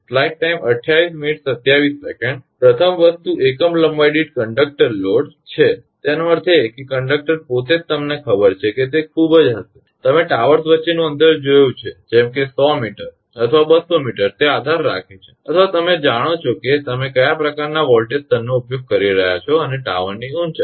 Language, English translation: Gujarati, First thing is conductor load per unit length; that means, conductor itself you know it will be very it you have you have seen the distance between the towers such 100 metres or 200 meters it depends or you know your what type of voltage level you are using and the tower height altitude